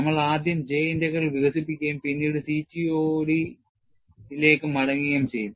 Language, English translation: Malayalam, And we will first develop J Integral, then, get back to CTOD